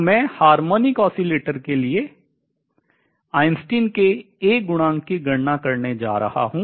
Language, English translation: Hindi, Now, let us see come to calculation of A coefficient for a harmonic oscillator